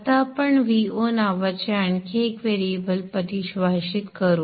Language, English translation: Marathi, So now we shall define one more variable called V0